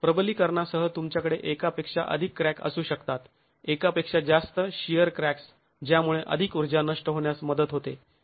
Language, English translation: Marathi, With reinforcement you can have multiple cracks, multiple shear cracks that can actually help dissipate more energy